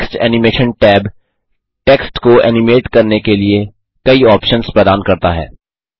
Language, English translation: Hindi, The Text Animation tab offers various options to animate text